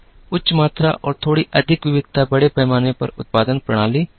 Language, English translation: Hindi, High volume and little more variety were the mass production systems